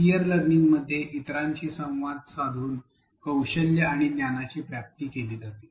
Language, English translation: Marathi, Peer learning involves the acquisition of skills and knowledge achieved through interaction with others